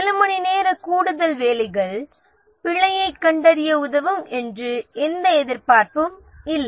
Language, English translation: Tamil, There is no expectancy that a few hours of additional work will help them detect the bug